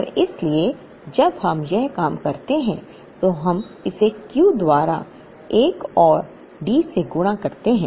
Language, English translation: Hindi, And therefore, when we work this out we multiplied this by another D by Q